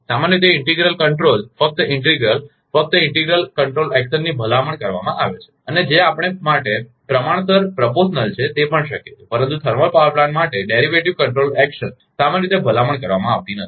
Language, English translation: Gujarati, Generally, integral control, integral only, only integral control action is recommended and, and an also we have proportional is also possible, but derivative control action for thermal power plant actually, generally is not recommended